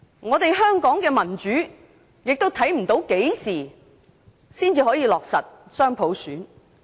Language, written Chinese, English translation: Cantonese, 至於香港的民主發展，我們亦看不到何時才可以落實雙普選。, Considering the democratic development in Hong Kong we cannot envisage when dual elections by universal suffrage can be implemented